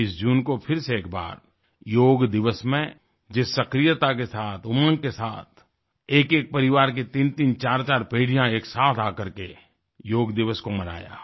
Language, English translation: Hindi, On 21st June, once again, Yoga Day was celebrated together with fervor and enthusiasm, there were instances of threefour generations of each family coming together to participate on Yoga Day